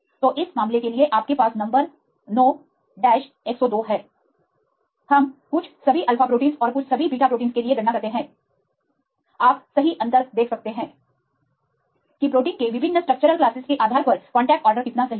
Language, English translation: Hindi, We do the calculations for some all alpha proteins and some all beta proteins you can see a difference right how far the contact order right varies based on different structure classes of proteins